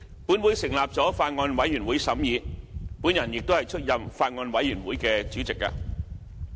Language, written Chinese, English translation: Cantonese, 本會成立了法案委員會審議，我亦出任法案委員會主席。, A Bills Committee chaired by me was subsequently set up by this Council to be responsible for the scrutiny of the Bill